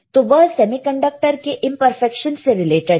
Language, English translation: Hindi, So, it is related to imperfection semiconductor